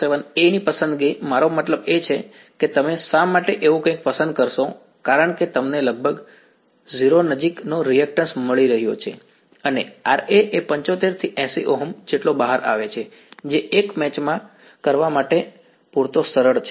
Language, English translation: Gujarati, 47 a is I mean why would you choose something like that is because you are getting a reactive part of nearly 0 right and the Ra comes out to be as 75 to 80 Ohms which is easy enough to match in a regular RF circuit